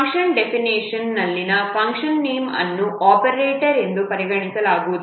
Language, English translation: Kannada, The function name in a function definition is not counted as an operator